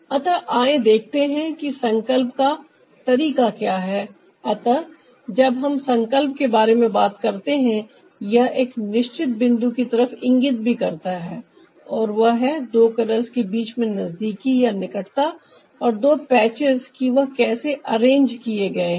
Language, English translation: Hindi, so when we talk about resolution, it also indicates a certain point, that is, the proximity between two colors and two patches, how they are arrange